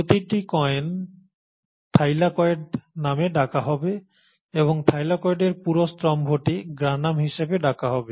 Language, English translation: Bengali, Each coin will be called as the Thylakoid and then the entire stack of Thylakoid will be called as the Granum